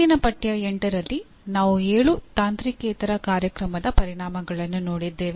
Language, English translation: Kannada, We looked at in the previous Unit 8, the seven non technical Program Outcomes